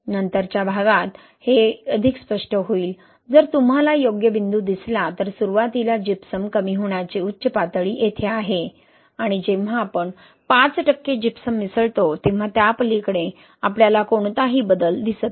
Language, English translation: Marathi, It is more clear in the later one, if you see the right plot, so the peak, initial gypsum depletion peak is here and when we add five percent of Gypsum, you see it here, then beyond that we do not see any change